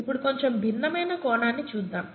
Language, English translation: Telugu, Now, let us look at a slightly different aspect